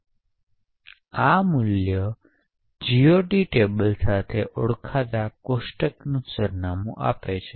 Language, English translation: Gujarati, So, this value gives the address of a table known as a GOT table